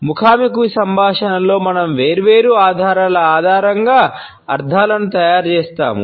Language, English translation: Telugu, In our face to face communication we make out the meanings on the basis of different clues